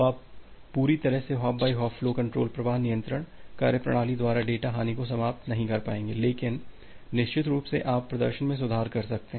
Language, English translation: Hindi, So, you will not be able to completely eliminate the data loss by applying this hop by hop flow control mechanism, but certainly you can improve the performance